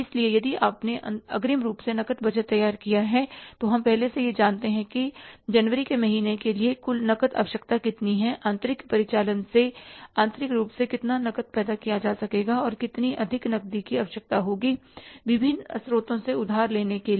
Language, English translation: Hindi, So, if you have prepared the cash budget in advance, so we know it in advance, therefore the month of January, how much is going to be the total cash requirement, how much cash will be able to generate internally from the internal operations and how much cash will be requiring to borrow from different sources